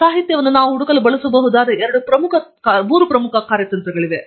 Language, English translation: Kannada, So, there are three major strategies that we can use to search literature